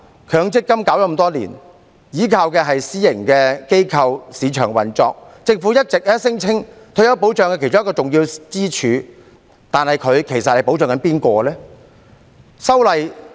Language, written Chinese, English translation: Cantonese, 強積金計劃推行多年，依靠的是私營機構、市場運作，而政府一直聲稱強積金計劃是退休保障的其中一根支柱，但我不禁要問，其實計劃在保障誰？, Over these years the implementation of MPF schemes has been depending on private organizations and market operation . And all along the Government has been claiming that MPF schemes form one of pillars of retirement protection . But I cannot help asking who are actually protected by these schemes